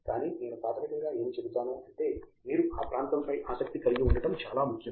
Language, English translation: Telugu, But it is I would say fundamentally it is very important that you should be interested in that area